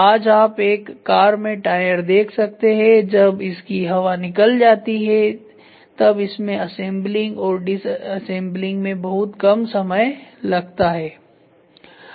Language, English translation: Hindi, Today you can see the tire in a car when it gets flattened the assembling and disassembling time has become very less